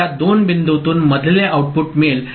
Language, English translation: Marathi, So, there is an intermediate output at this two points